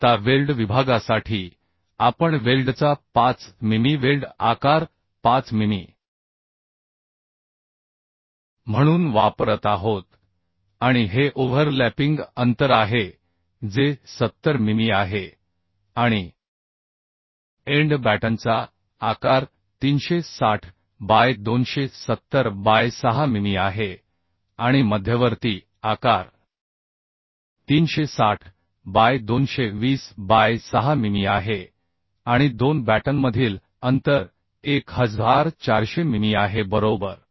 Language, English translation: Marathi, Now uhhh weld section we are using 5 mm weld size of the weld as 5 mm and this is the overlapping distance that is 70 mm and end batten size is 360 by 270 by 6 mm and the intermediate size is 360 by 220 by 6 mm